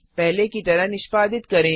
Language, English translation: Hindi, Execute as before